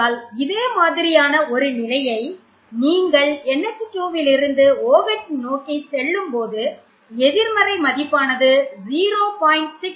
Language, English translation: Tamil, So, the same Trend you see here when you go from NH2 to OH the negative value decreases from